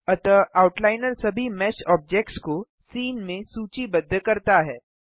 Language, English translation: Hindi, So the outliner lists all the mesh objects in the scene